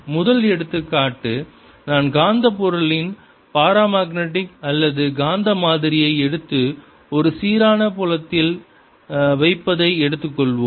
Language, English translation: Tamil, if i look at paramagnetic material, suppose i take a sample of paramagnetic material and i put it in a uniform field